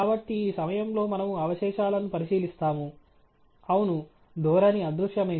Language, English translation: Telugu, So, this time, we look at the residuals; yeah the trend has vanished